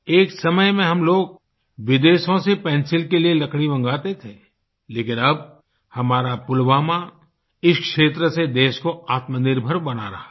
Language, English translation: Hindi, Once upon a time we used to import wood for pencils from abroad, but, now our Pulwama is making the country selfsufficient in the field of pencil making